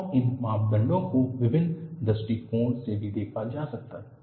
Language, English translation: Hindi, And these parameters can also be looked from different points of view